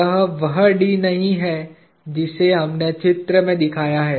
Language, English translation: Hindi, It is not the d that we have shown in the figure